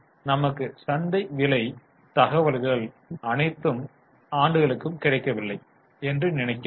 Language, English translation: Tamil, Now, I think market price information is not available for all the years